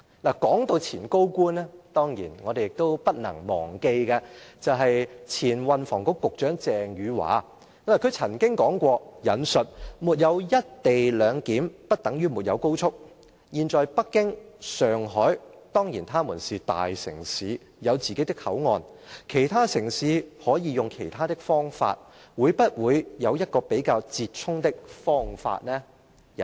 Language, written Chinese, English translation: Cantonese, 說到前高官，當然我們亦都不能忘記的，就是前運輸及房屋局局長鄭汝樺，她曾經說過："沒有'一地兩檢'，不等於沒有高速"，"現在北京、上海，當然它們是大城市，有自己的口岸，其他城市可以用其他方法，會不會有一個比較折衷的方法呢？, Speaking of former principal officials we cannot skip Ms Eva CHENG a former Secretary for Transport and Housing . She once said Even without co - location clearance we will not lose the XRL . She also said Beijing and Shanghai are big cities and they of course have their own boundary - crossings